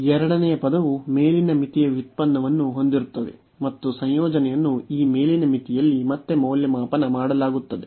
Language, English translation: Kannada, The second term will have the derivative of the upper limit, and the integrand will be evaluated again at this upper limit